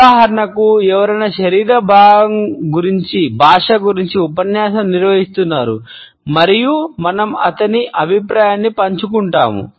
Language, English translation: Telugu, For example, someone is holding a lecture about body language and we share his opinion hmm, that seems about right